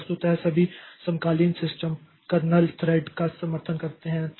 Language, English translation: Hindi, So, virtually all contemporary systems support kernel threads